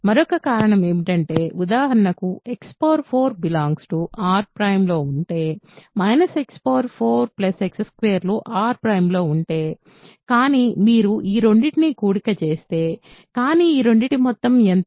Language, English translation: Telugu, Another reason is, if for example, X power 4 is in R prime, X power minus X power 4 plus X squared in R prime, but if you add these two, but what is the sum of these two